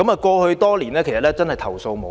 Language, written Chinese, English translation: Cantonese, 過去多年，該區居民真的是投訴無門。, Over the years there has been no way for residents of that district to lodge their complaints at all